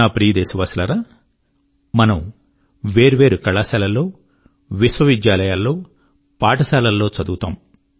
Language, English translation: Telugu, My dear countrymen, all of us study in myriad colleges, universities & schools